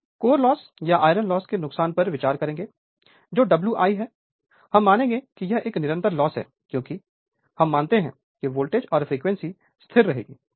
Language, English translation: Hindi, So, major losses, we will consider copper loss sorry core loss or iron loss that is W i, we will assume this is a constant loss because, we assume that voltage and frequency will remain constant